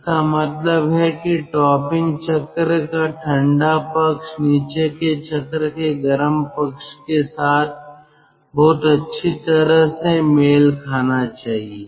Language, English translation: Hindi, it means cold end of the topping cycle should match very well with the hot end, with the hot end of the bottoming cycle